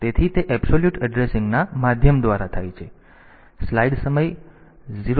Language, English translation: Gujarati, So, that is by means of absolute addressing